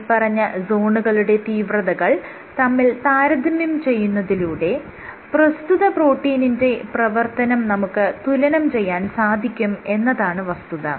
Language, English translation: Malayalam, And this by comparing the intensity of these white zones you can compare the activity of this particular protein